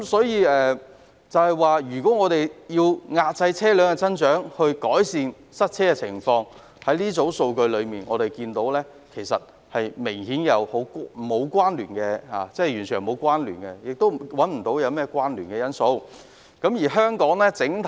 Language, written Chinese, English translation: Cantonese, 因此，關於透過遏制車輛增長改善塞車情況的說法，從這些數據可見，兩者是完全沒有關聯的，而我亦找不到任何關聯的因素。, Therefore as to whether traffic congestion can be improved by curbing vehicle growth no correlation whatsoever has been established from the figures nor is there any factor linking them